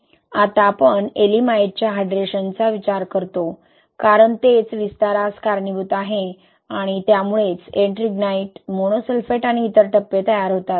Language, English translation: Marathi, Now, we look into the hydration of Ye'elimite, right, because that is what is causing the expansion and that is what leads to the formation of Ettringite, monosulphate and other phases